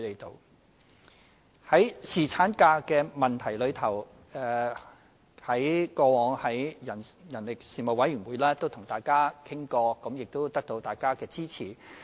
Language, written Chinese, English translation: Cantonese, 在侍產假方面，我們過去也曾在人力事務委員會與議員討論，並取得大家的支持。, In respect of paternity leave we have discussed it with Members in the Panel on Manpower and obtained Members support